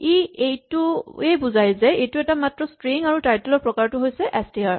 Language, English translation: Assamese, So, this indicates that this is a single string and again the type of title is str